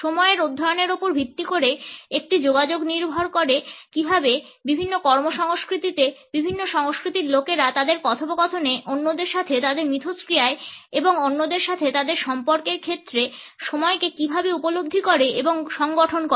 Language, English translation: Bengali, A communication based a study of time is dependent on how people in different cultures in different work cultures perceive and structure time in their interactions with other in their dialogues as well as in their relationships with others